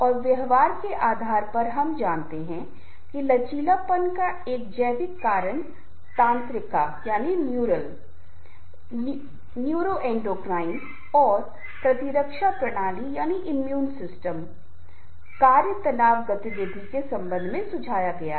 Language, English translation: Hindi, we know that biological factors of resilience is suggested by neural, neuroendocrine and immune system functions relation to stress activity